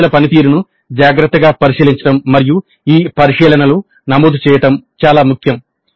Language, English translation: Telugu, So it is very important that the performance of the students is carefully examined and these observations are recorded